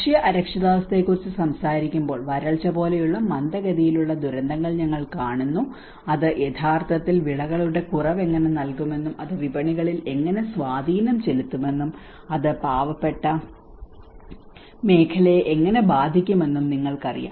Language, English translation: Malayalam, When we talk about the food insecurity, we see a slow phase disasters like the drought, you know how it can actually yield to the reduction of crops and how it will have an impact on the markets and how it turn impact on the livelihoods of the poor sector